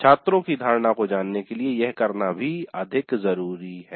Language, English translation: Hindi, This is more to do with the perception of the students